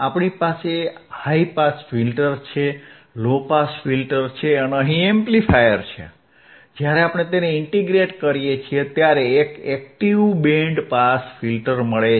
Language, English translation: Gujarati, So,, I have a high pass filter stage, I have a low pass filter stage, and if I integrate high pass with low pass, if I integrate the high pass stage with low pass stage I will get a passive band pass filter, right